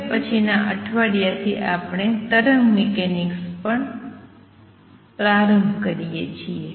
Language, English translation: Gujarati, And we stop here on this, and next week onwards we start on wave mechanics